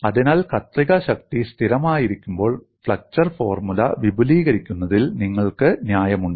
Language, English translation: Malayalam, So, you are justified in extending flexure formula when shear force remain constant and what you see here